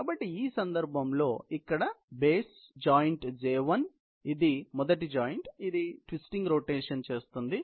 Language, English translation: Telugu, So, the base here in this case, is the joint J1, which is the first joint, which is performing this twisting rotation